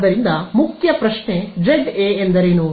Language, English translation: Kannada, So, the main question is what is Za